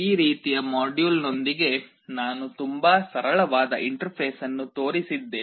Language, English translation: Kannada, I have shown a very simple interface with this kind of module